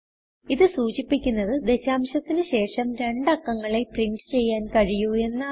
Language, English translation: Malayalam, It denotes that we can print only two values after the decimal point